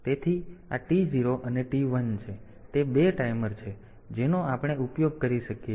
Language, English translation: Gujarati, So, they are the 2 timers that we can use